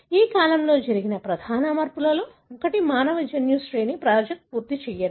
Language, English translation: Telugu, One of the major changes that happened during this period is the completion of human genome sequence project